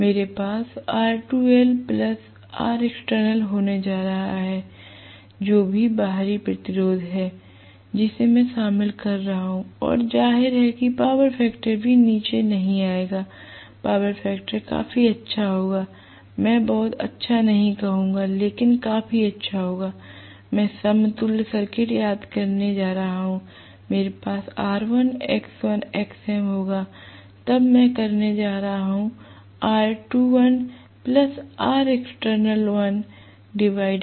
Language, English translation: Hindi, I am going to have R2 dash plus R external whatever is the external resistance that I am including right, and obviously power factor will also not come down, power factor will be fairly good, I would not say very good, but fairly good because I am going to have this recall the equivalent circuit I will have R1, x1, xm then I am going to have R2 dash plus R external dash